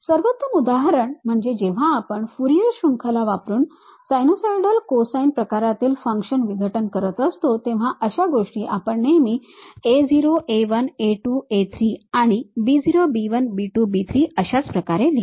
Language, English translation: Marathi, The best example is when we are decomposing a function in terms of sinusoidal cosine kind of thing by using Fourier series, we always write a0, a 1, a 2, a 3 and so on; b0, b 1, b 2, b 3 and so on so things